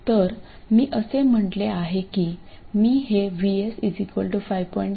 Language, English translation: Marathi, So, let me take a case where VS is 5